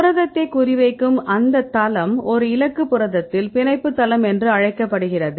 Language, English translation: Tamil, So, where are this will target right at the protein that site is called the binding site right in a target protein